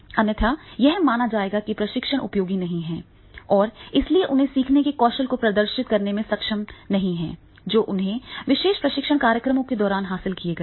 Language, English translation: Hindi, Otherwise he will perceive himself that is it was not useful and therefore he will not be able to demonstrate those learning skills which he acquired during the particular training program